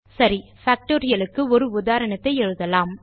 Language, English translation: Tamil, Okay, let us now write an example for Factorial